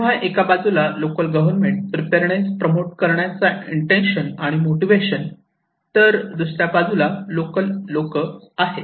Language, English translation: Marathi, So, one this side is local government who is trying to promote these preparedness intention, motivations of the common people and other side is the local people